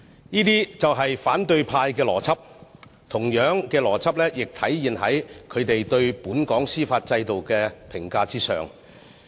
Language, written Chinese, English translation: Cantonese, 這些就是反對派的邏輯。同樣的邏輯亦體現在他們對本港司法制度的評價上。, This is the logic of the opposition camp and the same logic also applies to their comments on the judicial system of Hong Kong